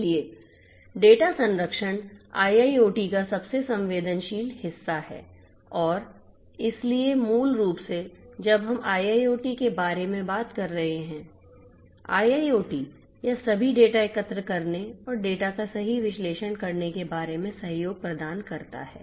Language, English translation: Hindi, So, data protection is the most sensitive part of IIoT and so basically you know you have to because when we are talking about IIoT; IIoT it’s all about collecting data and analyzing the data right